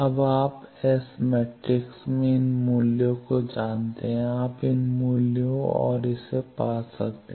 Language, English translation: Hindi, Now, you know these values from the S matrix given you can find these values and this